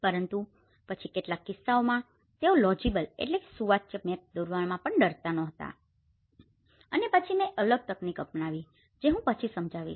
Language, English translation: Gujarati, Legible maps but then in some cases they were not even afraid even to draw and then I have adopted a different techniques which I will explain later